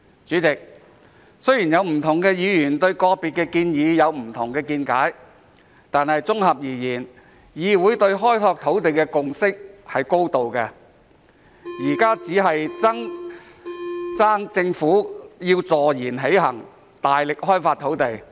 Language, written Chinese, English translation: Cantonese, 主席，雖然有不同的議員對個別建議有不同的見解，但綜合而言，議會對開拓土地的共識是高度的，現在只欠政府坐言起行，大力開發土地。, President although different Members have different views towards individual proposals the Council generally has reached a high degree of consensus on land development . Now what is lacking is only the Governments action to develop land vigorously